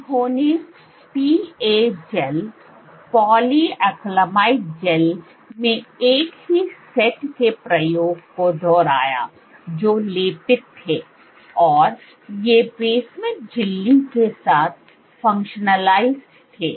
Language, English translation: Hindi, She repeated the same set of experiments in PA gels polyacrylamide gels which were coated, these were functionalized with basement membrane